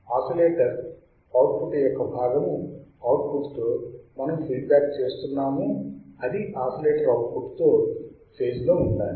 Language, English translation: Telugu, The output the part of the output that we are feeding back to the oscillator should be in phase